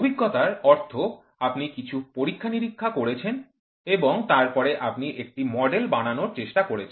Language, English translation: Bengali, Empirical means, you do some experiments and then you try to come up with the model